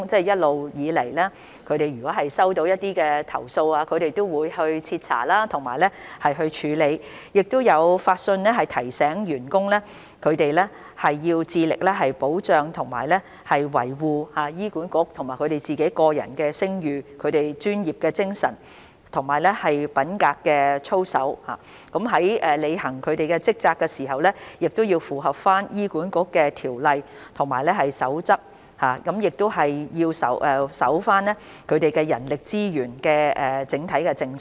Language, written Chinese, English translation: Cantonese, 一直以來，醫管局接獲投訴後均會徹查及處理，亦會發信提醒員工必須致力保障和維護醫管局及其個人的聲譽、專業形象及品格操守，員工在履行職責時要符合醫管局的規例和守則，亦須遵守人力資源的整體政策。, As a long - standing practice HA will conduct thorough investigation and handle complaints received and it will also issue letters to its staff members reminding them of the importance of protecting and safeguarding the reputation professional image as well as conduct and integrity of HA and themselves . Staff members must comply with HAs regulations and codes and the overall human resources policy when discharging their duties